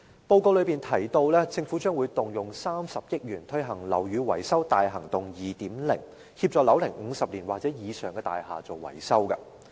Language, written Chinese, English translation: Cantonese, 報告提到政府將動用30億元推行"樓宇更新大行動 2.0"， 協助樓齡50年或以上的大廈進行維修。, According to the Policy Address the Government plans to launch Operation Building Bright 2.0 at a cost of around 3 billion for the maintenance of buildings aged 50 years or more